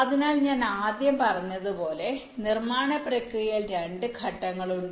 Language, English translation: Malayalam, so manufacturing process, as i said, comprises of two steps